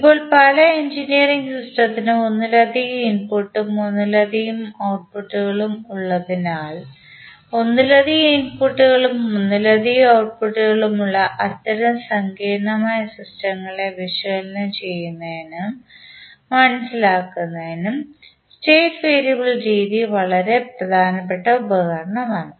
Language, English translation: Malayalam, Now, since many engineering system we see have multiple input and multiple outputs, so that is why the state variable method is very important tool in analysing and understanding such complex systems which have multiple input and multiple outputs